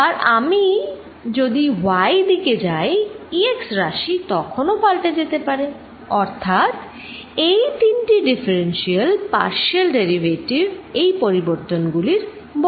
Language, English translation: Bengali, If I go in the y direction E x component may again change, so that is described by these three differential partial derivatives